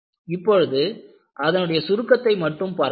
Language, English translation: Tamil, Right now, we only have a short summary